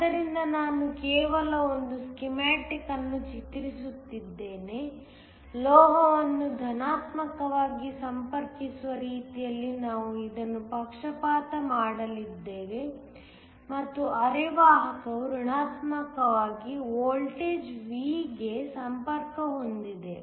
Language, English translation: Kannada, So, I am just drawing a schematic, we are going to bias this in such a way that the metal is connected to positive and the semiconductor is connected to negative some voltage, V